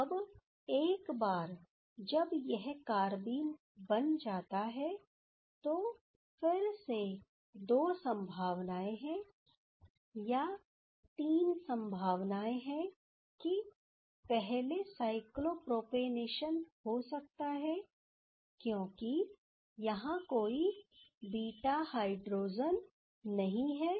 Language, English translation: Hindi, Now, once this carbene is there, again there is two possibilities or rather three possibilities that first the cyclopropanation can happen as there is no beta hydrogen